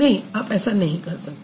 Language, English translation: Hindi, No, you can't